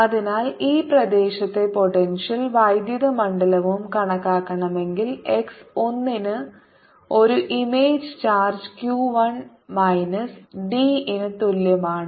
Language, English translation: Malayalam, so if you want to calculate the potential and electric field in this region, we place an image charge q one at x equals minus d